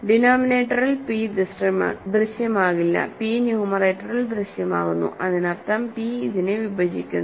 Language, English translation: Malayalam, So, p does not appear in the denominator whereas, p appears in the numerator so that means, p divides this